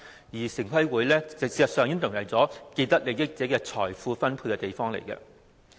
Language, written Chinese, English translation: Cantonese, 事實上，城規會已淪為既得利益者進行財富分配的地方。, In fact TPB has degenerated into a place for distribution of wealth among those with vested interests